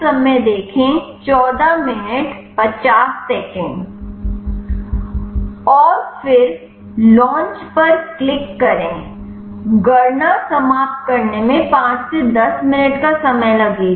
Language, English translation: Hindi, And then click launch it will take some time 5 to 10 minutes to finish the calculation